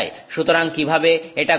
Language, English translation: Bengali, So, how does this happen